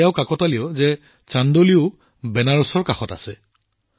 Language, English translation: Assamese, Now it is also a coincidence that Chandauli is also adjacent to Banaras